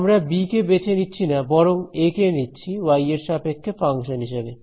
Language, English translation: Bengali, Let us not choose b choose basis function a as the function of y